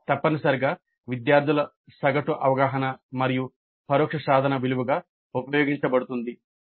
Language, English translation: Telugu, This is essentially average perception of students and that is used as the indirect attainment value